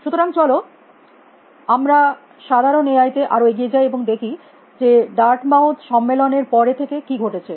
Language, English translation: Bengali, So, let us move on to general AI and look at what is happened since the dark mouth conference